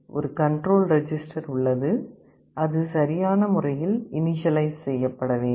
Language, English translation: Tamil, And there is a control register that has to be initialized appropriately